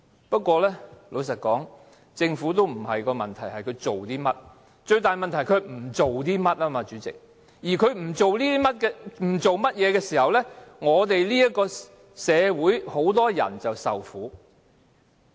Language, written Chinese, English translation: Cantonese, 不過，老實說，主席，政府的問題並不是做了甚麼，最大問題是不做些甚麼，而政府不做甚麼的時候，我們這個社會便會有很多人受苦。, Honestly speaking President the problem with the Government does not lie in what it has done . Rather the biggest problem with it lies in what it has not done . And its inaction in some areas will plunge many people into plight and hardship